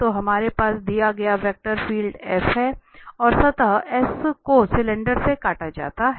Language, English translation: Hindi, So we have the F the vector field is given, and the surface S is cut from the cylinder